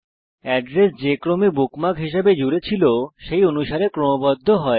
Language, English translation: Bengali, The address are sorted by the order in which they were added as bookmarks